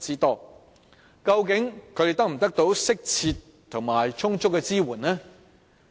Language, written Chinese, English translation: Cantonese, 究竟他們能否獲得適切和充足的支援呢？, Have they received appropriate and adequate support?